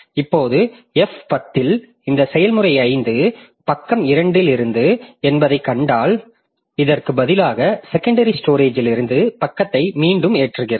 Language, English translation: Tamil, Now, if we find that in F10 this process 5 page 2 was there, then I can just instead of loading the page from the secondary storage again, I can just load it on, I can just make F10 a part of the process